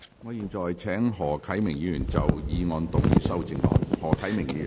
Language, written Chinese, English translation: Cantonese, 我現在請何啟明議員就議案動議修正案。, I now call upon Mr HO Kai - ming to move his amendment to the motion